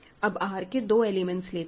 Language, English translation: Hindi, Now, let us take two elements in R ok